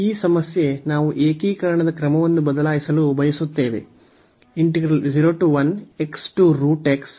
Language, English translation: Kannada, Now, this problem we want to change the order of integration